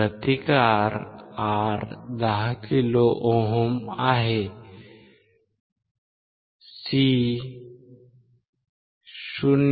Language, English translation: Marathi, The resistance R is 10 kilo ohm, C is 0